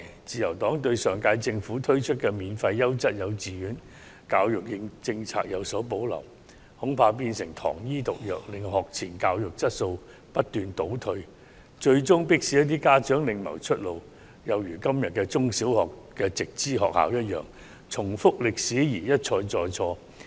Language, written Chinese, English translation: Cantonese, 自由黨對上屆政府推出的免費優質幼稚園教育計劃有所保留，恐怕會變成"糖衣毒藥"，令學前教育質素不斷倒退，最終迫使一些家長另謀出路，有如今天的直資中、小學一樣，導致歷史重演，一錯再錯。, The Liberal Party has reservations about the Free Quality Kindergarten Education Scheme introduced by the Government of the last term fearing that the Scheme will become something of a sugar - coated poison pill resulting in a deterioration of the quality of pre - primary education which will eventually force some parents to find another way out something similar to the case of direct subsidy primary and secondary schools nowadays and a repeat of history and the same mistakes